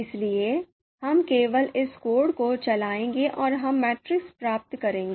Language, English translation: Hindi, So we will just run this code and we will get the matrix